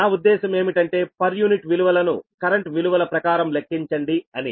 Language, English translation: Telugu, right, i means you have to calculate per unit values as well as in terms of your current values